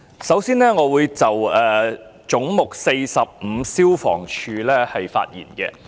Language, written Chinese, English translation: Cantonese, 首先，我會就"總目 45― 消防處"發言。, For starters I would like to speak on Head 45―Fire Services Department